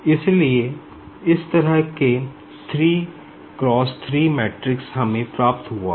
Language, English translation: Hindi, So, this type of like 3 cross 3 matrix we will be getting